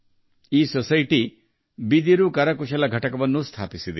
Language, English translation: Kannada, This society has also established a bamboo handicraft unit